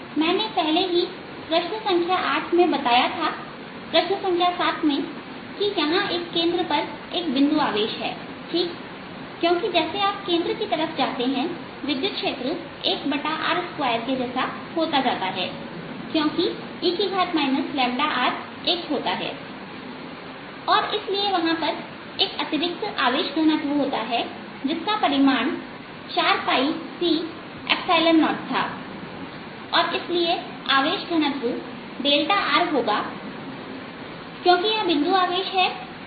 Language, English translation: Hindi, i had already pointed out in problem number eight there are problem number seven that there is a point charge at the center right, because as you go towards the center, the, the electric field becomes more like one over r square, because e raise to minus lambda r becomes one and therefore there's an additional density, additional charge there, which the magnitude was four pi c, epsilon zero and charge density therefore is going to be delta r because this is a point charge